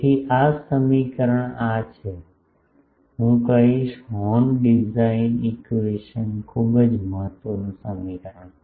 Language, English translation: Gujarati, So, this equation is this is the I will say horn design equation very important equation